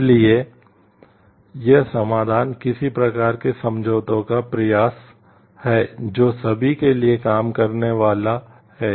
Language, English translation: Hindi, So, this solution is an attempt at some kind of compromise that is going to work for everyone